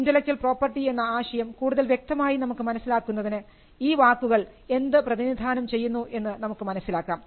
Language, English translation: Malayalam, Now for us to understand the concept of intellectual property better we need to understand what these words stand for